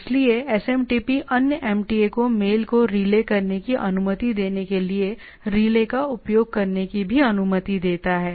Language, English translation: Hindi, So, SMTP also allows use of relays allowing other MTAs to relay the mail right